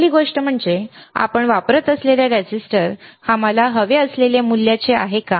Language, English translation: Marathi, First thing is, that whether the resistor we are using is of the value that we want